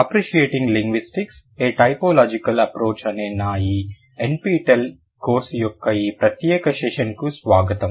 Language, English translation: Telugu, Welcome to this session of my NPTL course Appreciating Linguistics or Typological approach